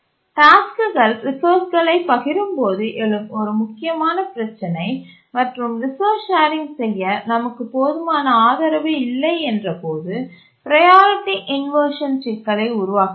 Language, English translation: Tamil, One of the crucial issue that arises when tasks share resources and we don't have adequate support for resource sharing is a priority inversion problem